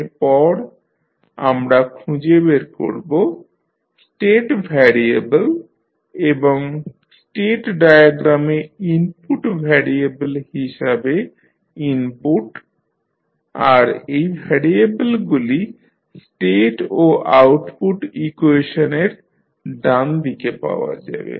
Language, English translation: Bengali, Now, next we will identify the state variables and the inputs as input variable on the state diagram and these variables are found on the right side on the state as well as output equations